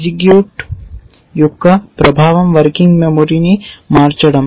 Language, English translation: Telugu, The effect of execute is to change the working memory